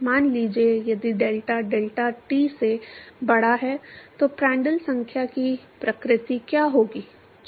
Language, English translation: Hindi, suppose if delta is greater than delta t, what will be the nature of the Prandtl number